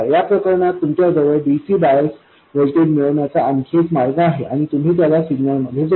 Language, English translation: Marathi, In this case you have some other way of obtaining the DC bias voltage and you add that to the signal